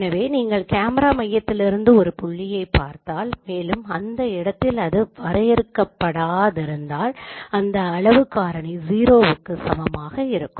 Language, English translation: Tamil, So where you can see that the camera center is a point at infinity means its scale factor should be equal to zero